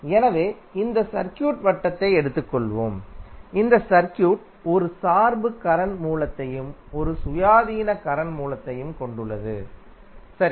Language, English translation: Tamil, So, let us take this circuit, this circuit contains one dependent current source and one independent current source, right